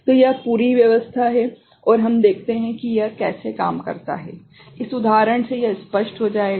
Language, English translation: Hindi, So, this is the whole arrangement and let us see how it works; this example will make it clear right